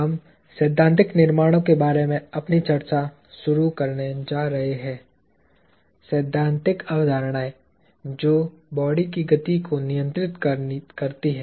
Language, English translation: Hindi, We are going to begin our discussion of the theoretical constructs – theoretical concepts that govern the motion of bodies